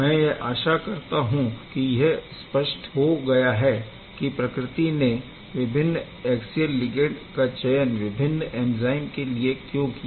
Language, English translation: Hindi, So, I hope it is now clear that why nature has chosen the different axial ligand for different enzyme